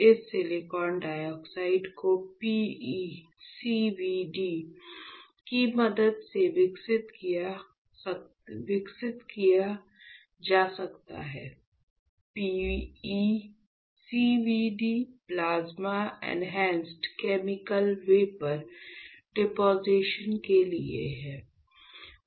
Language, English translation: Hindi, This silicon dioxide we can grow with the help of PECVD right, this silicon dioxide PECVD; PECVD stands for Plasma Enhanced Chemical Vapour Deposition